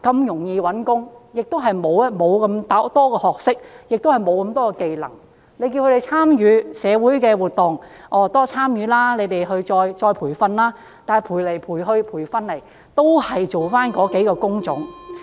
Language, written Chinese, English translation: Cantonese, 六十多歲的朋友如果學歷不高，亦沒有技能，叫他們多參與社會活動，接受再培訓，但到頭來都只能從事某些工種。, At the end of the day people in their 60s without high academic qualifications and any skills have only certain job types as choices even if they were encouraged to participate in social activities and receive retraining